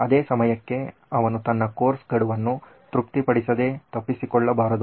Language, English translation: Kannada, At the same time he should not miss out on his course deadlines being satisfied